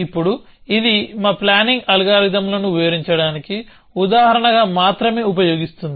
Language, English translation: Telugu, Now, this is just using as a example to illustrate our planning algorithms